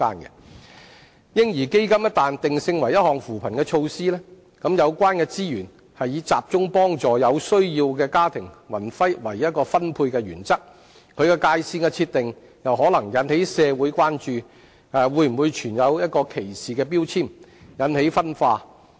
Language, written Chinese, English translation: Cantonese, "嬰兒基金"一旦定性為扶貧措施，則有關資源是以集中幫助有需要的家庭為分配原則，其界線的設定可能引起社會關注會否存在歧視標籤，引起分化。, Once the baby fund is positioned as a poverty alleviation measure the principle of allocation will then be directing resources to helping those families in need . The line drawn may arouse public concern about whether there is any discriminatory labelling thereby leading to division